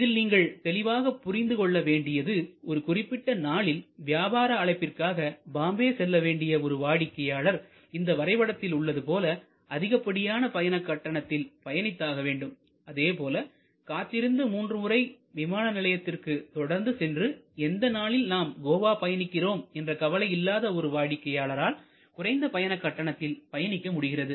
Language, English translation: Tamil, But obviously, somebody has an a appointment business appointment has to be in Bombay and certain particular day, then that person will have to pay price at this level, where as price somebody who can wait and take chance and go to the airport three times and does not care, which day he or she arrives in Goa, then the price can be quite low